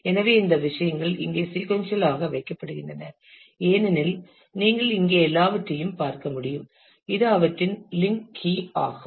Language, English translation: Tamil, So, these things are kept sequentially here as you can see there all consequentially here and this is the link key of those